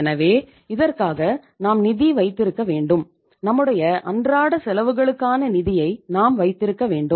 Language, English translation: Tamil, So in that case you have to have the finance, you have to have the funds for your day to day expenses